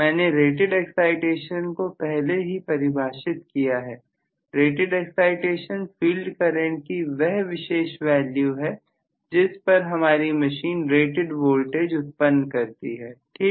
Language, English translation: Hindi, I have defined already what is rated excitation; rated excitation is that particular value of field current at which my machine will be generating rated voltage, Right